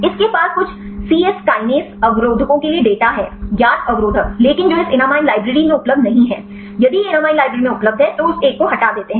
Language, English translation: Hindi, This has some data for the cyes kinase inhibitors; known inhibitors, but that is not available in this enamine library, if available in enamine library, they remove that one